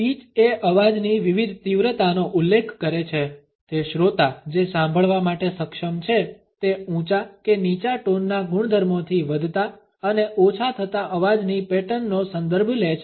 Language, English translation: Gujarati, Pitch refers to the varying intensity of the voice It refers to what the listener is capable to here is high or as low tonal properties to rising and falling voice patterns